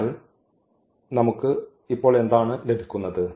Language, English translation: Malayalam, So, what do we get now